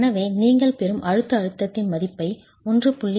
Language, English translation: Tamil, So, divide the value of the compressive stress that you get by 1